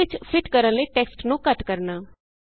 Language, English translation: Punjabi, Shrinking text to fit the cell